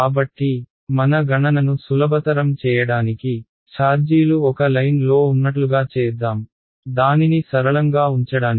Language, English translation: Telugu, So, just to make our calculation simple let us pretend that the charges are on one line, just to keep it simple